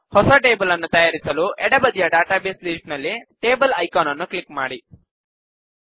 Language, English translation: Kannada, To create a new table, click the Tables icon in the Database list on the left